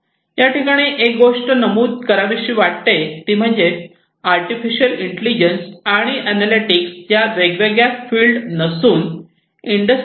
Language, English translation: Marathi, Remember one thing that artificial intelligence, analytics etcetera these are not fields which are separate and are different from Industry 4